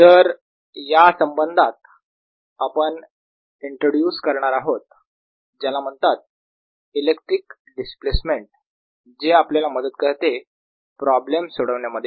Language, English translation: Marathi, so in this context, we're going to do introduce something called the electric displacement that facilitates solving of such problems